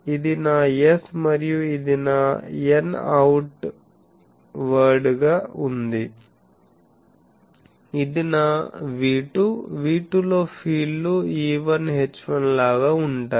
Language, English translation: Telugu, So, this is my S and so this is my n outward, this is my V2, in V2 the fields are same E1 H1